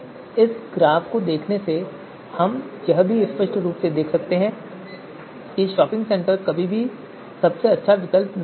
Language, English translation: Hindi, So from looking at this graph, we can clearly you know observe that shopping centre is you know you know it is never going to be the best alternative